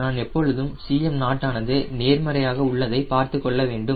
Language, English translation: Tamil, we always try to see that the c m naught is positive